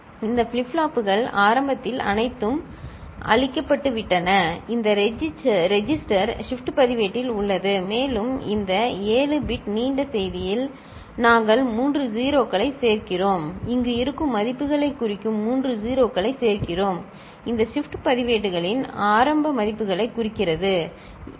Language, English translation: Tamil, These flip flops are initially all cleared, right in this register shift register, and to this 7 bit long message we append three 0s, we append three 0s signifying the values that are present here, signifying the initial values of these shift registers, ok